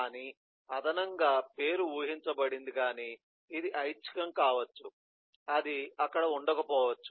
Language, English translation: Telugu, but in addition, so the name is is expected, but it may be optional, it may not be there, but we are